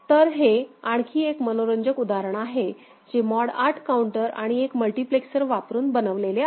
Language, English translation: Marathi, So, this is another interesting example of you know, using mod 8 counter in combination with a multiplexer